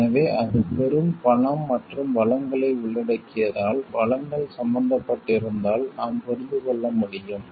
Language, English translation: Tamil, So, we can understand because it involves huge money and resources so, if resources are involved